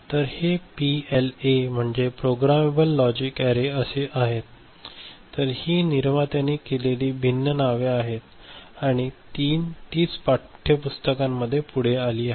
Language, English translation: Marathi, So, this is the PLA right, Programmable Logic Array, so these are different names given by the manufacturer and that is carried forward in the textbooks ok